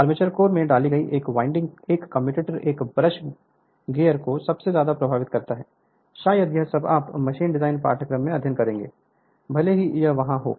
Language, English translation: Hindi, A winding inserted in the armature core slots a commutator a brush gear most all this thing perhaps you will study in your machine design course also if it is there